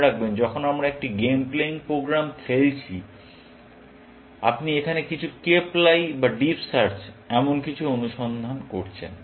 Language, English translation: Bengali, Remember, that when we are playing a game playing program, you are doing some search up to some Cape lie, deep search, here